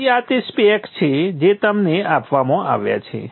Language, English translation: Gujarati, So these are the specs that are given to you